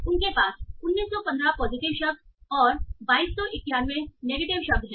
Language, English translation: Hindi, So they have 1915 positive words and 22191 negative words